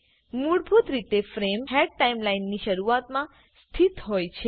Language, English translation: Gujarati, By default, the frame head is at the start of the timeline